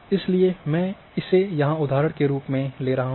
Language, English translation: Hindi, So, I take that as example here